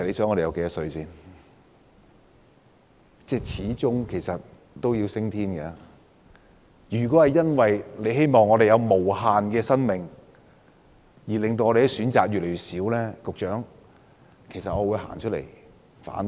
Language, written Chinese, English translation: Cantonese, 我們始終有一天要升天，如果局方為了市民有無限的生命而令我們的選擇越來越少，局長，我會走出來反對。, We will all go to heaven some day . If the Bureau wants the people to live an eternal life and as a result give us less and less choices I will tell the Secretary that I will come forward to oppose this